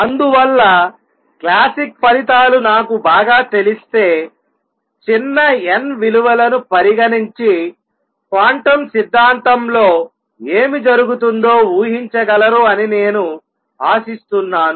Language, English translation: Telugu, Therefore I can hope if I know the classic results well, that I can go back and go for a small n values and anticipate what would happen in quantum theory